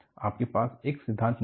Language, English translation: Hindi, You do not have one theory